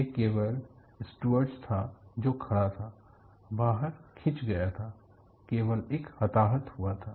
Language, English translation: Hindi, It is only the steward who was standing, was sucked out; there was only one casualty